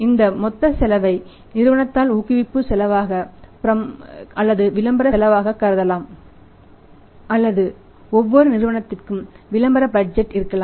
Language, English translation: Tamil, This total cost can be treated by the company as the promotional cost of the promotional expense or advertising expense or maybe that every company has the advertising budget